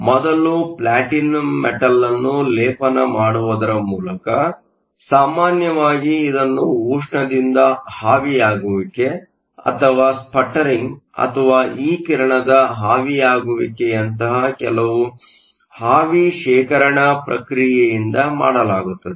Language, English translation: Kannada, Is by first depositing platinum metal, usually it is done by some vapor deposition process like thermally evaporation or sputtering or e beam evaporation